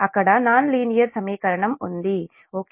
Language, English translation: Telugu, so there is a nonlinear equation, right